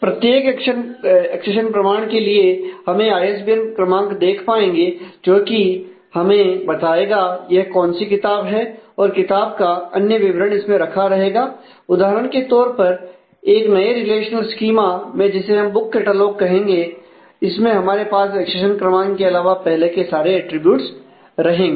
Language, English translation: Hindi, So, for every accession number we will be able to see the ISBN number which will tell you which book it is and rest of the book details will be kept in this say another new relational schema called book catalogue which will have all of the earlier attributes expect the accession number